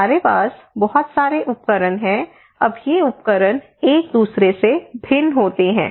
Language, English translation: Hindi, We have so many tools now these tools they vary from each other